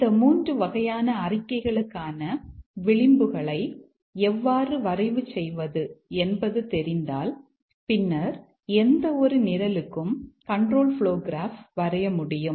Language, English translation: Tamil, If we know how to represent the edges for these three types of statements, then we should be able to draw the control flow graph for any program